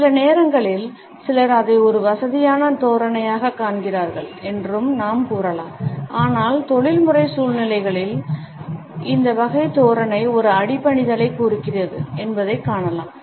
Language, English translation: Tamil, Sometimes we can also say that some people find it a comfortable posture, but in professional situations we find that this type of a posture indicates a subservience